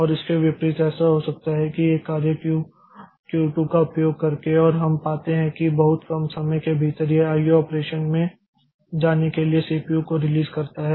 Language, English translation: Hindi, And vice versa, it can so happen that a job is in the Q in the Q2 and we find that up within a very small amount of time it releases the CPU going to IO operation